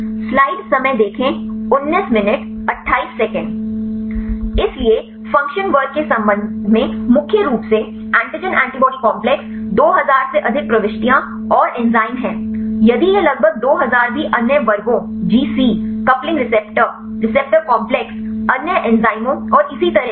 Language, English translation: Hindi, So, with respect to the function class there is mainly the antigen antibody complexes more than 2000 entries and enzyme if it are also about 2000 followed by the other classes GC, coupling receptor, receptor complexes other enzymes and so on